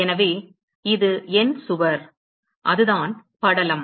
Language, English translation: Tamil, So, this is my wall; that is the film